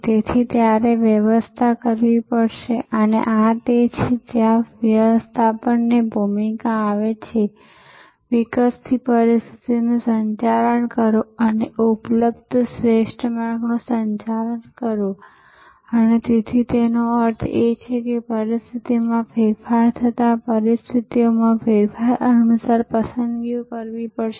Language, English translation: Gujarati, So, you will have to manage and this is where the role of management comes, manage the evolving situation and manage the best path available and therefore, it means that as the situation change there will have to be choices made according to the change in conditions